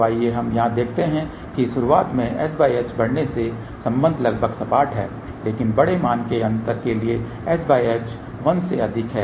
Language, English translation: Hindi, So, let us see here as s by h increases in the beginning the relation is almost close to flat , but for larger value of the gap s by h greater than 1